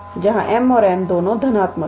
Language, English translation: Hindi, where m and n are both positive